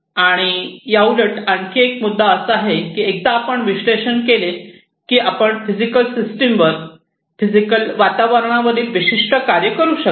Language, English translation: Marathi, And also, there is one more point to it that once you have analyzed, the data you can perform certain actuation on the system, on the physical system, on the physical environment